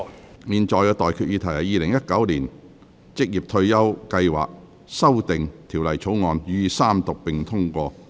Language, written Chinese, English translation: Cantonese, 我現在向各位提出的待議議題是：《2019年職業退休計劃條例草案》予以三讀並通過。, I now propose the question to you and that is That the Occupational Retirement Schemes Amendment Bill 2019 be read the Third time and do pass